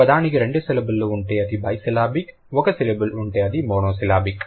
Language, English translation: Telugu, If a word has two syllables, it will be bicelibic, one syllable, monosyllabic, more than that polysyllobic you can say